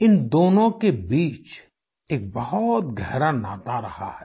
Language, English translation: Hindi, There has always been a deep connect between the two